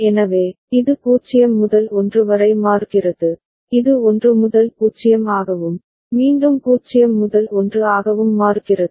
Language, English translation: Tamil, So, this is changing from 0 to 1, this is changing from 1 to 0, again 0 to 1 and so on and so forth right